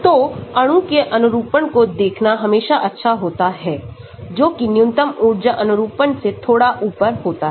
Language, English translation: Hindi, So, it is always good to look at the conformations of molecule which are slightly above the minimum energy conformation also